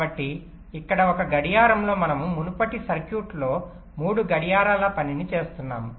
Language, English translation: Telugu, so here in one clock we are doing the task of three clocks in the previous circuit